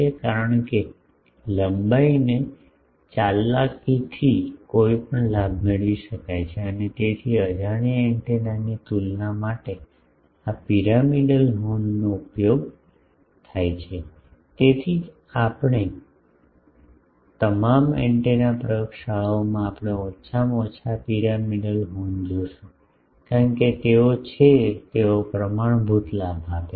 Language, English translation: Gujarati, Because, any gain can be obtained by manipulating the length and so, also for comparison of gain of an unknown antenna, the this gains this pyramidal horns are used, that is why in all antenna laboratories we will see at least the this pyramidal horns, because they are they give standard gains